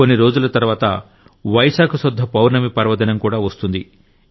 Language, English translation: Telugu, A few days later, the festival of Vaishakh Budh Purnima will also come